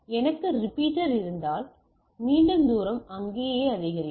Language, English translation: Tamil, So, if I have repeater, again the distance is increase there right